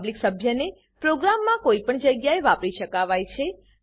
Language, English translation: Gujarati, A public member can be used anywhere in the program